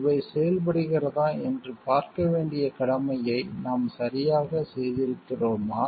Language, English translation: Tamil, Have we done our duty properly to see whether these things are working